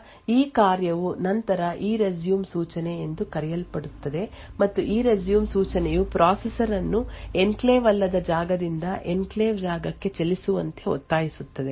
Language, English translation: Kannada, So, this function would then invoke something known as the ERESUME instruction and ERESUME instruction would then force the processor to move from the non enclave space to the enclave space